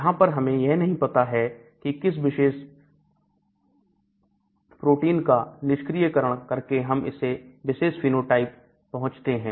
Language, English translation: Hindi, So, here we don't know which gene needs to be knocked out to arrive at that particular phenotype